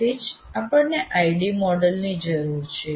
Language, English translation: Gujarati, That's why we require an ID model like this